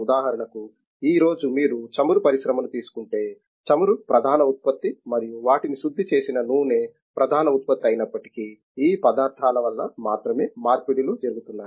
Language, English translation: Telugu, For example, today if you take the oil industry it is, if even though oil is the main product and their refined oil is the main product, the conversions are taking place only because of these materials